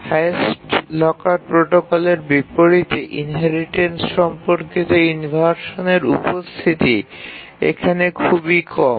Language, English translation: Bengali, And in contrast to the highest locker protocol, the inheritance related inversions are really low here